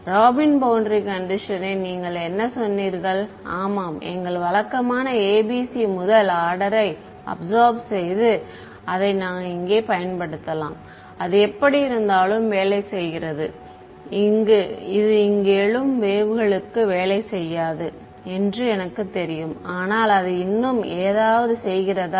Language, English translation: Tamil, Robin boundary condition what did you say yeah our usual ABC absorbing first order ABC I can apply it over here that works anyway for I know it does not work for evanescent waves, but still it does something